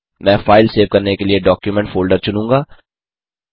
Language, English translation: Hindi, I will select Document folder for saving the file